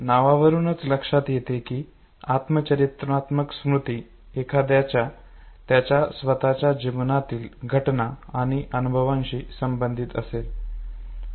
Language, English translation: Marathi, As the name itself suggest autobiographical memory has to do with events and experiences of one’s own life